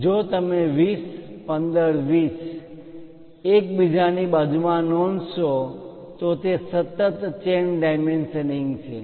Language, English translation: Gujarati, If you are noting 20 15 20 next to each other and it is a continuous chain dimensioning